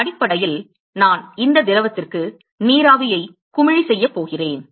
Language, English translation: Tamil, Basically, I am going to bubble the vapor to this liquid